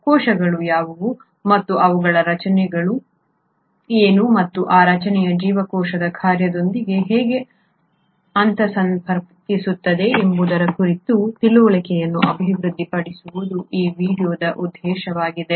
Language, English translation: Kannada, The objectives of this video are to develop an understanding of what are cells and what is their structure and how this structure interconnects with the function of the cell